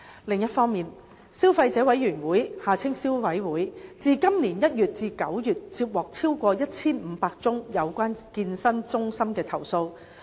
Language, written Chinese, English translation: Cantonese, 另一方面，消費者委員會自今年1月至9月接獲超過1500宗有關健身中心的投訴。, On the other hand the Consumer Council received more than 1 500 complaints against fitness centres between January and September this year